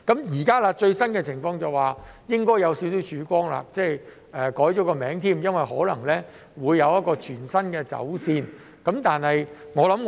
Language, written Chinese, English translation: Cantonese, 現時最新的情況是應該有些少曙光，名稱亦更改了，因為可能會有全新的走線。, The latest situation has brought a small ray of hope and its name has also changed for there may be a new alignment